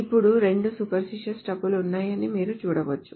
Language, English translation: Telugu, Now you can see that there are two spurious tuples